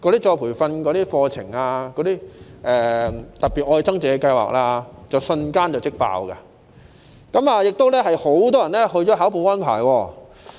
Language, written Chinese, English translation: Cantonese, 再培訓課程如"特別.愛增值"計劃瞬間即滿額，亦有很多人報考保安牌。, Retraining courses such as the Love Upgrading Special Scheme have been fully enrolled in no time and many people have applied for a Security Personnel Permit